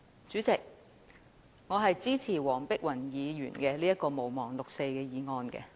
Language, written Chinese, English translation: Cantonese, 主席，我支持黃碧雲議員這項"毋忘六四"議案。, President I support this motion on Not forgetting the 4 June incident moved by Dr Helena WONG